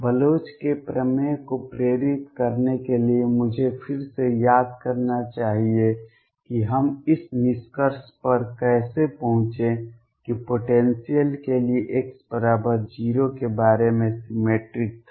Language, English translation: Hindi, To motivate Bloch’s theorem let me recall again how did we arrived at this conclusion for the potential which was symmetric about x equals 0